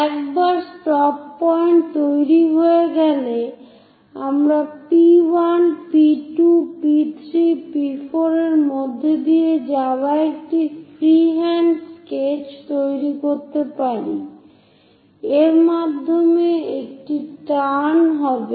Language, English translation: Bengali, Once the stop points are done we can make a free hand sketch passing through P1, P2, P3, P4 takes a turn goes via that